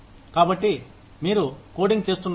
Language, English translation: Telugu, So, may be, you are coding